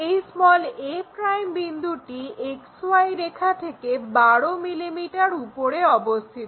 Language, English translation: Bengali, For that we have to locate a' point which is 12 mm above XY line